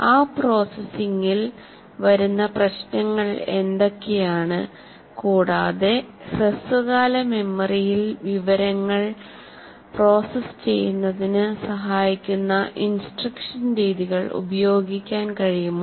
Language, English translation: Malayalam, In that processing, what are the issues that come and whether we can use instructional methods that facilitate the what we call processing the information in the short term memory